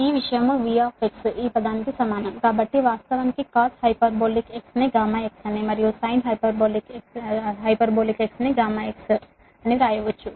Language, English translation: Telugu, that means this thing can be written as v x is equal to this term actually cos hyperbolic x, right gamma x, and this is sin hyperbolic gamma x, right